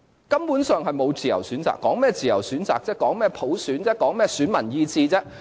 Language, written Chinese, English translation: Cantonese, 根本上就沒有自由選擇，說甚麼自由選擇；說甚麼普選；說甚麼選民意志。, What is there to talk about freedom of choices? . What is there to talk about universal suffrage? . What is there to talk about the will of electors?